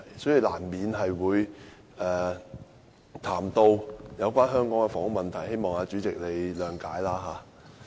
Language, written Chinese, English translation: Cantonese, 所以，我難免會談到香港的房屋問題，希望代理主席諒解。, For this reason I will inevitably speak on the housing problem of Hong Kong . I hope Deputy Chairman will understand